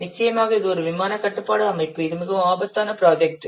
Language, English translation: Tamil, Of course, this is a flight control system, this is a very risky project